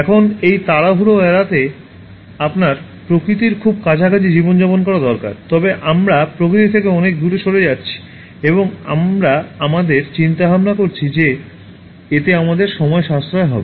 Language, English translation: Bengali, Now in order to avoid this hurry, you need to live a life that is very close to nature, but however we are moving far away from nature and we are inventing things thinking that they will save our time